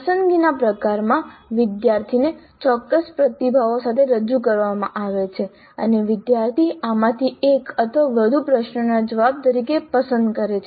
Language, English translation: Gujarati, In the selection type the student is presented with certain responses and the student selects one or more of these as the response to be given to the question